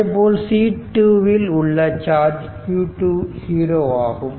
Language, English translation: Tamil, So, hence q 2 is equal to q 0